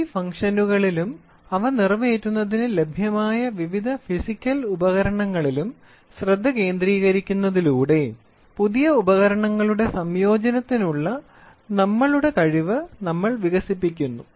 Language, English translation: Malayalam, By concentrating on this functions and various physical devices and the various physical device of are available for accomplishing them we develop our ability to synthesize new combination of instruments